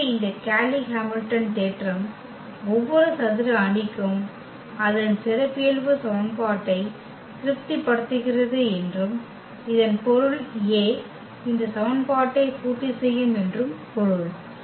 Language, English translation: Tamil, So, that this Cayley Hamilton theorem says that every square matrix also satisfies its characteristic equation and that means, that A will also satisfy this equation